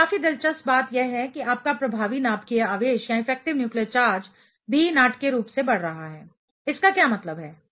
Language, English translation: Hindi, Now, quite interestingly your effective nuclear charge is also increasing dramatically; what that does mean